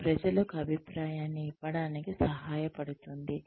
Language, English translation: Telugu, It can help to give feedback to people